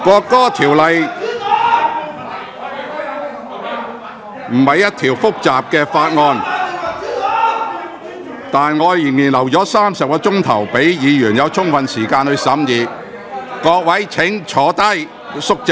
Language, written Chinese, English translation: Cantonese, 《國歌條例草案》並不是一項複雜的法案，但我仍然預留了多達30小時，讓議員有充分時間審議《條例草案》......, The National Anthem Bill is not a complicated bill . Yet I have still earmarked 30 hours to allow Members sufficient time to scrutinize the Bill